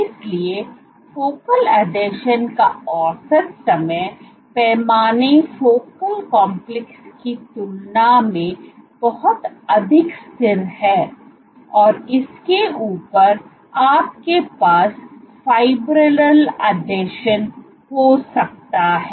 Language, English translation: Hindi, So, these are much more stable compared to focal complexes on top of this you might have fibrillar adhesions